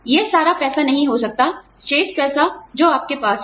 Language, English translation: Hindi, It cannot be all the money, all the balance, you have